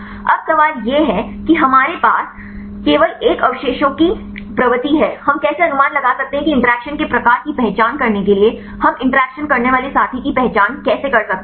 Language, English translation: Hindi, Now, the question is here we have only one residue propensity how can we estimate how can we identify the interacting partner to identify the type of interactions